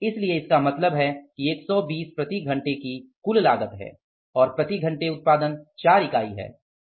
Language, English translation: Hindi, So, it means 120 is the total cost per hour and the production per hour is 4 units